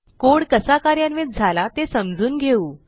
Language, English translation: Marathi, now Let us understand how the code is executed